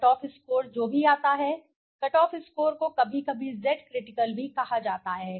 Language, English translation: Hindi, The cutoff score whatever it comes, cutoff score is sometimes is also called as the Z critical right